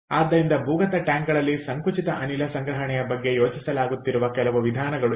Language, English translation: Kannada, ok, so these are some of the methods that are being thought of compressed gas storage in underground tanks